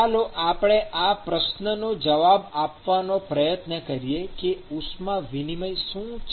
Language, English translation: Gujarati, Let us try to answer this question as to what is heat transfer